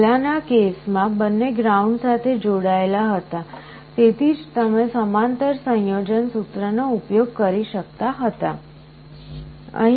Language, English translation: Gujarati, In the earlier cases both were connected to ground, that is why you could use the parallel combination formula